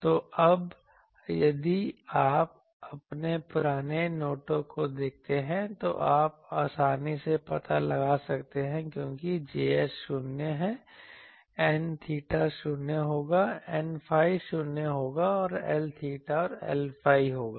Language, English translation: Hindi, So, now, if you see your old notes that you can easily find out that since J s is 0, N theta will be 0; N phi will be 0 and there will be L theta L phi